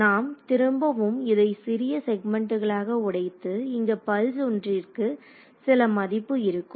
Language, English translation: Tamil, We broke it up like this again into segments and here we said pulse 1 has some value